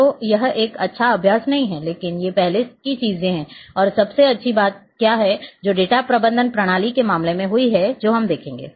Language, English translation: Hindi, So, this is not a good practise, but these are the earlier things and what are the best thing, which has happened in case of data management system which we will see